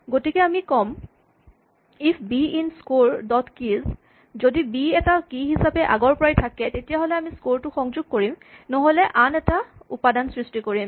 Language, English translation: Assamese, So, we say if b is in the scores, dot keys if we have b as an existing key then we append the score otherwise we create a new entry